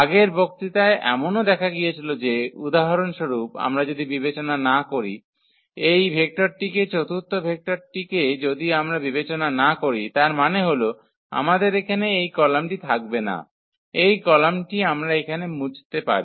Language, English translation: Bengali, What was also seen in the previous lecture that, if we do not consider for example, this vector the fourth one if we do not consider this vector; that means, we will not have this column here, this column we can delete now